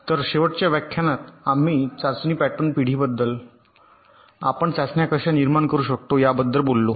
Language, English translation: Marathi, so in the last lecture we talked about test pattern generation, how we can generate tests